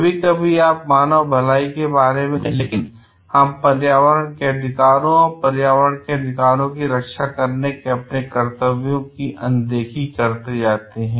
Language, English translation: Hindi, Sometimes you thinking of the human wellbeing, we overlook into the like the rights of the environment and our duties to protect the rights of the environment in it s for its own sake